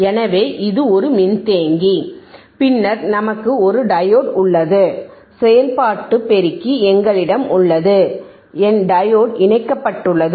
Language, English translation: Tamil, So, this is a capacitor, then we have a diode we have a diode,, we have operational amplifier, right we have an operational amplifier, and my diode is connected my diode is connected